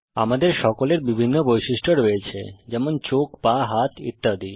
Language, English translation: Bengali, We all have different properties like eyes, legs, hands etc